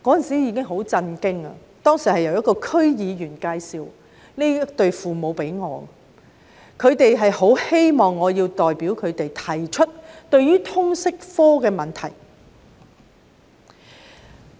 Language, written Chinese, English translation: Cantonese, 這對父母當時是由一名區議員介紹給我認識的，他們很希望我可以代表他們提出有關通識科的問題。, This couple was introduced to me by a District Council member and they very much hoped that I would bring up the problems of the LS subject on their behalf